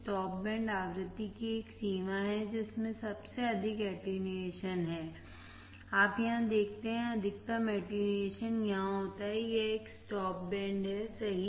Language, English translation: Hindi, Stop band is a range of frequency that have most attenuation, you see here, the maximum attenuation occurs here it is a stop band right